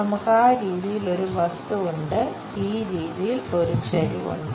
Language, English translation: Malayalam, The object is we have something in that way, a incline cut in this way